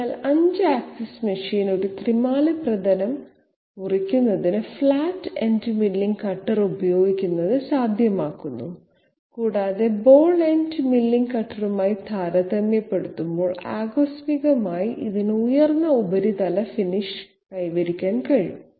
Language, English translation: Malayalam, So 5 axis machine makes it possible to use a flat ended milling cutter to cut a 3 dimensional surface and incidentally it can achieve a higher surface finish compared to the ball ended milling cutter